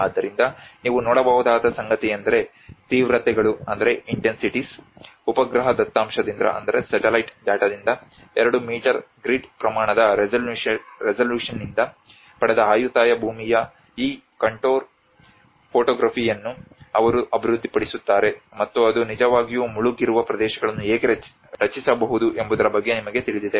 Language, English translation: Kannada, So here is what you can see is that the intensities, this is you know about they develop this contour topography of Ayutthaya land derived from 2 meter grid scale resolution from the satellite data and how it can actually create the inundated areas